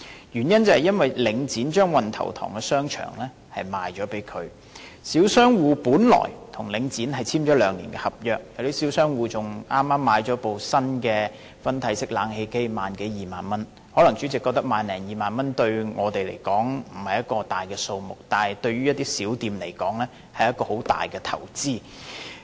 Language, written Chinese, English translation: Cantonese, 原因是領展將運頭塘邨的商場售給這新業主，小商戶本來已跟領展簽訂兩年合約，更有小商戶剛用了萬多二萬元購買一部新的分體式冷氣機，可能主席覺得萬多二萬元對我們來說不是一個大數目，但對於一些小店來說，卻是很大的投資。, It is becusae Link REIT has sold the shopping centre of Wan Tau Tong Estate to this new owner . The small shop tenants had actually signed a contract for a term of two years with Link REIT and not long ago a small shop tenant even spent some 10,000 or 20,000 buying a brand new split - type air conditioner . President you may think that some 10,000 or 20,000 may not be a large sum of money to us but it is an enormous investment to small shop tenants